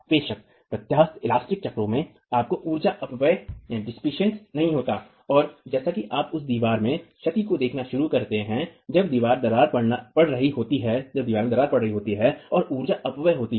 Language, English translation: Hindi, Of course in the elastic cycles you do not have energy dissipation and as you start seeing damage in the wall, that is when cracking is occurring and there is energy dissipation